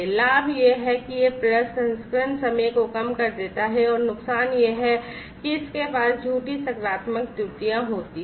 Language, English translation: Hindi, The advantage is that it reduces the processing time and the disadvantage is that it has it leads to false positive errors